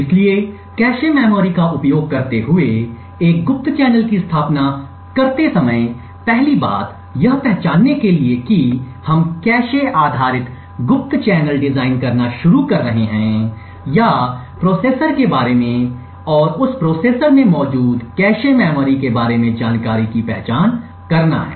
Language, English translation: Hindi, So while setting up a covert channel using the cache memory the 1st thing to identify when we are starting to design a cache based covert channel or is to identify information about the processor and also about the cache memory present in that processor